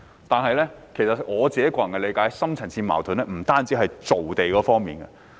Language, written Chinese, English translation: Cantonese, 然而，按照我的個人理解，"深層次矛盾"不限於造地方面。, Yet I personally think that deep - seated conflicts are not confined to land creation